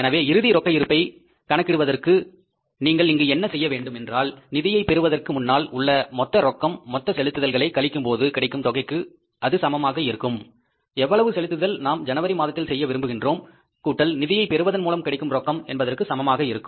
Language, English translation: Tamil, So, for calculating the ending cash balance, what you have to do here is ending cash is equal to the total cash available before financing minus the total disbursements for disbursements we want to make in the month of January plus cash from financing